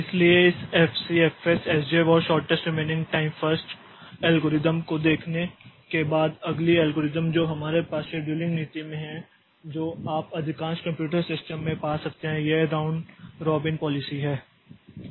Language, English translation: Hindi, FF and the shortest remaining time first algorithms, so next algorithm that we have in the scheduling policy that you can find in most of the computer systems is the round robin policy